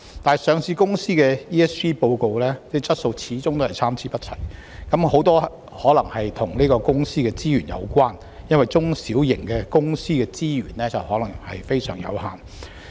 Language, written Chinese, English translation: Cantonese, 不過，上市公司 ESG 報告的質素始終是參差不齊，這很可能與公司的資源有關，因為中小型企業的資源可能非常有限。, Despite these requirements the quality of the ESG reports of listed companies still varies greatly which is probably related to the resources of the enterprises as small and medium enterprises SMEs may only have very limited resources